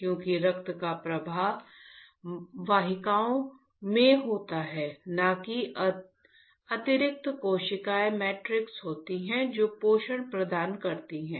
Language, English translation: Hindi, Because, the flow of the blood occurs in the vessels not the there is extra cellular matrix which provides the nutrition